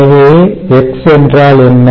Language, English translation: Tamil, so therefore, what is x going to be